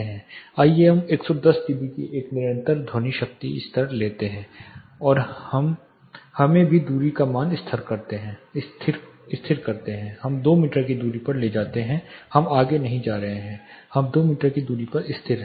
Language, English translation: Hindi, Let us take a constant sound power level of 110 dB and let us also fix the distance let us take 2 meter distance we are not propagating further we are holding a 2 meter distance